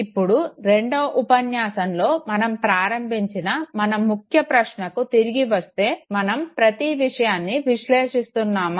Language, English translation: Telugu, So coming back to our key question that we initiated in our second lecture, do we process everything